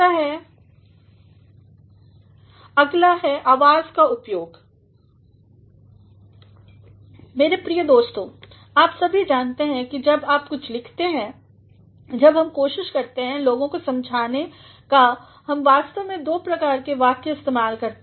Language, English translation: Hindi, And, next is the use of voice; my dear friends all of you know that when we write something when we are trying to convince people we actually use two sorts of sentences